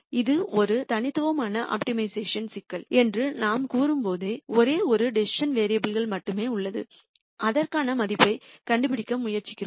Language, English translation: Tamil, When we say it is a univariate optimization problem there is only one decision variable that we are trying to find a value for